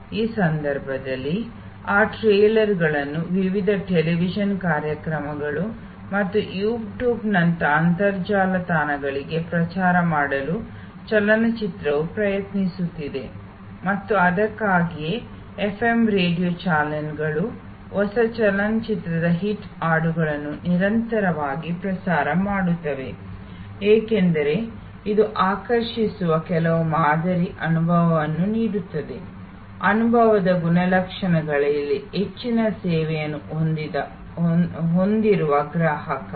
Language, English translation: Kannada, In this case that is why movie is try to promote that trailers to various television shows and internet sites like YouTube and so on that is why the FM radio channels continuously broadcast the hit songs of a new movie, because it provides some sample experience that attracts the customer to a service which is heavy with high in experience attribute